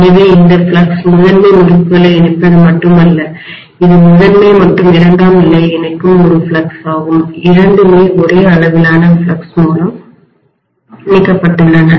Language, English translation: Tamil, So this flux is not only linking the primary winding, so this is a flux linking the primary as well as secondary, both are linked by the same amount of flux, right